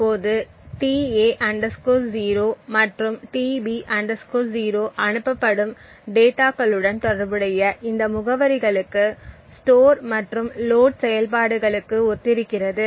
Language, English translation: Tamil, Now tA 0 and tB 0 correspond to load and store operations to these addresses corresponding to the data being transmitted